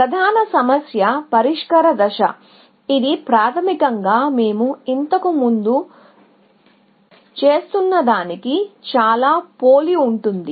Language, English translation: Telugu, So, the main problem solving step, which is basically, very similar to what we were doing earlier